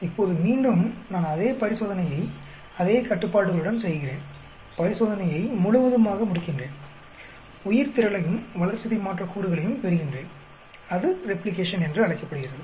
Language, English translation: Tamil, Now, I again repeat the same experiment with all these conditions, and complete the whole experiment, get the biomass and metabolites; that is called the Replication